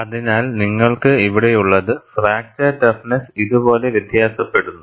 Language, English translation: Malayalam, So, what you have here is, the fracture toughness varies like this